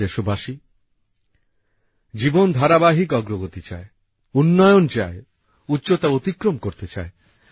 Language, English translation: Bengali, life desires continuous progress, desires development, desires to surpass heights